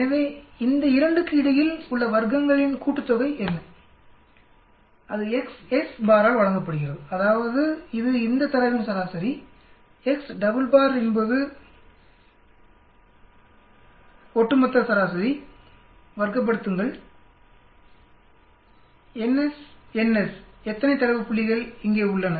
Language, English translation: Tamil, So what is the sum of squares between these 2, that is given by X s bar that is the mean of this data, x double bar is the over all means, square it, N s, N s how many data points are there